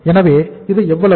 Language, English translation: Tamil, So it means this is how much